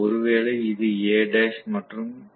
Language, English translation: Tamil, So, maybe this is A dash and this is A